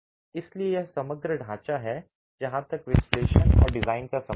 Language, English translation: Hindi, So, this is the overall framework as far as analysis and design is concerned